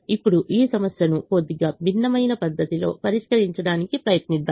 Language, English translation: Telugu, now let's try to solve this problem in a slightly different manner